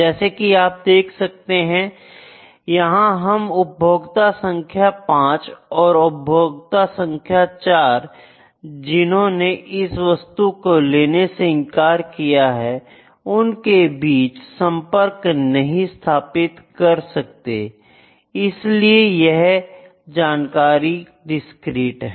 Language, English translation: Hindi, These are discrete numbers we cannot connect between customer number 5 and customer number 4 who has rejected that, this is the discrete information